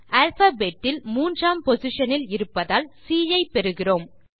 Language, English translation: Tamil, Since C is in position 3 in the alphabet, we get C